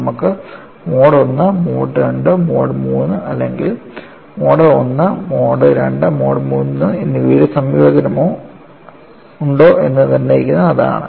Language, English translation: Malayalam, That is what is determining whether you have mode 1, mode 2, mode 3 or combination of mode 1, mode 2, mode 3